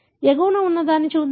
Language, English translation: Telugu, Let us look into the one on the top